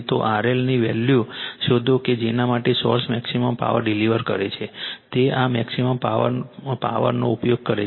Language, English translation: Gujarati, Find the value of R L for which the source delivers maximum, it will be to this maximum power right power is using